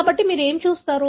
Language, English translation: Telugu, So, what do you see